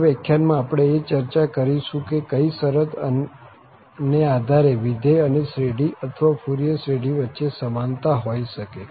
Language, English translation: Gujarati, In the next lecture, we will discuss under what condition we can have the equality between the function and its trigonometric or the Fourier series